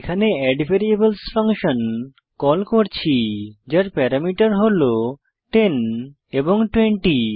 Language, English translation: Bengali, Here, we are calling addVariables function with parameters 10 and 20